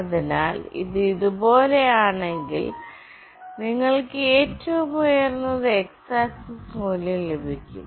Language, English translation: Malayalam, So, if it is like this, the x axis value you will receive the highest one